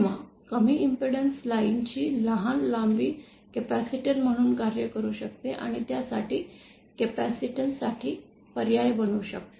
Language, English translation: Marathi, Or a short length of low impedance line can act as a capacitor and it can be substitute it for the capacitance